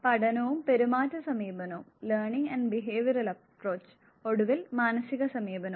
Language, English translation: Malayalam, Learning and the Behavioural approach and finally, the Humanistic approach